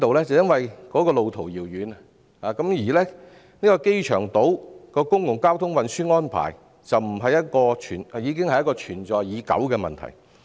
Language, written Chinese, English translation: Cantonese, 是路途遙遠，而機場島的公共交通運輸安排已是存在已久的問題。, Long travelling distance . Besides public transport arrangements for the airport island have already constituted a long - standing problem